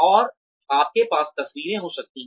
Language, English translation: Hindi, And, you could have photographs